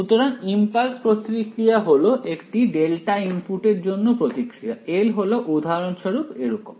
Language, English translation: Bengali, So, the impulse response will be the response to a delta input, L is like a think of L just as for example, like this